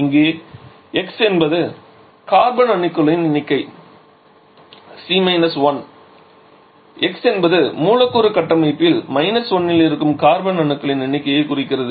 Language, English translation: Tamil, Here x is the number of carbon 1, x refers to the number of carbon present in the molecular structure 1